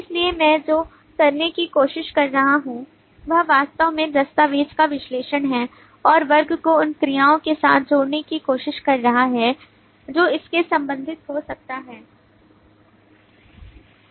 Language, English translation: Hindi, so what i am trying to do is actually analyze the document and trying to associate the class with the verbs that can get related to it